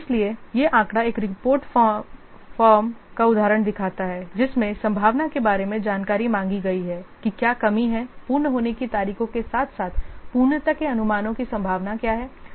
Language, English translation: Hindi, So this figure is shows an example of a report form requesting information about likely what is the slippage, what is the likely slippage of the completion dates as well as the estimates of completeness